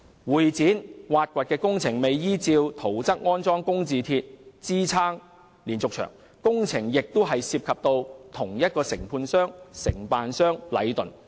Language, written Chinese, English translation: Cantonese, 會展站挖掘工程未有依照圖則安裝工字鐵支撐連續牆，工程亦涉及同一個承建商禮頓。, During the excavation works at Exhibition Centre Station I - beams for supporting the diaphragm walls were not installed in accordance with the plan and the contractor for the works is also Leighton